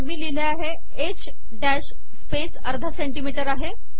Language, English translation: Marathi, Then i am saying that h space is half a cm